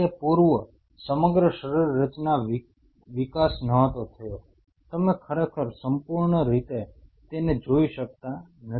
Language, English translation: Gujarati, Prior to that the whole anatomical development was kind of not you can cannot really fully make out